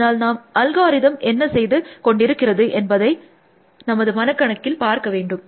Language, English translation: Tamil, So, we have to visualize what the algorithm is doing